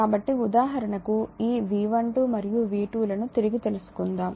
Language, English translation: Telugu, So, come back to you know this V 12 and V 2 1 for example, right